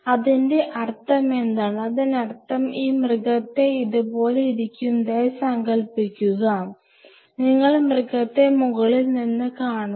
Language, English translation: Malayalam, So, what does that mean; that means, that animal is you know sitting like this, and you are seeing the animal from the top